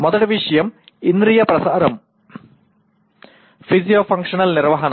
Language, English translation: Telugu, First thing is sensory transmission, physio functional maintenance